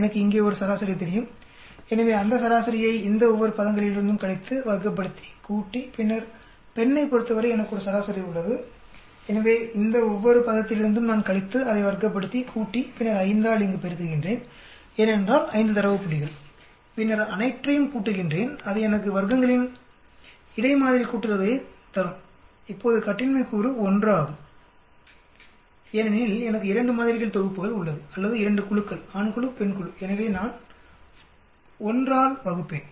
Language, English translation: Tamil, I know an average here so that is a average so he that average I subtract from each one of these terms, square it up, add up and then for the female, I have an average so I subtract from each one of these term, square it up, add up, then multiply by 5 here, because the 5 data points then add up the overall, that will give you me the between sample sum of squares now the degrees of freedom is 1 because I have 2 sets of samples or 2 groups, male group, female group so I will divide by 1